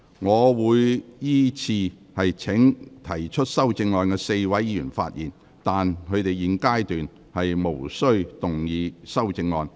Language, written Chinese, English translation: Cantonese, 我會依次請提出修正案的4位議員發言，但他們在現階段無須動議修正案。, I will call upon the four Members who have proposed amendments to speak in sequence but they are not required to move their amendments at this stage